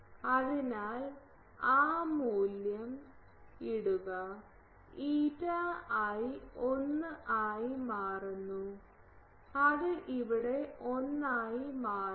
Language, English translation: Malayalam, So, put that value of a so, eta i becomes 1 putting it here it becomes 1